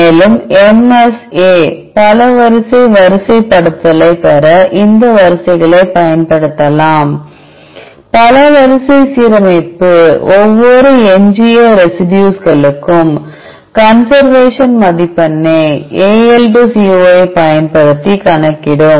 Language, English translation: Tamil, Further we will use these sequences to obtain the MSA multiple sequence alignment; from the multiple sequence alignment will calculate the conservation score for each residual residue position using AL2CO